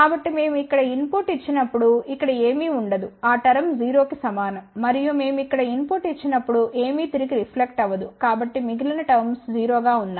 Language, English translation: Telugu, So, when we give input here nothing goes over here hence, that term is equal to 0 and when we give a input here nothing reflects back so rest of their terms are 0